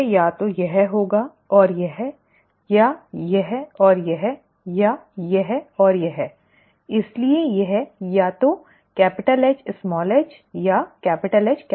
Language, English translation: Hindi, It would either be this and this or this and this or this and this